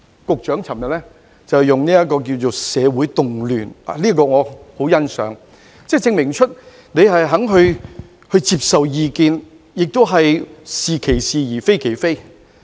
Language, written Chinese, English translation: Cantonese, 局長昨天說是"社會動亂"，我對此十分欣賞，證明他願意接受意見，"是其是，非其非"。, Yesterday the Secretary used the term social turmoil and I truly appreciate that . This showed his willingness to take advice and say what is right as right and denounce what is wrong as wrong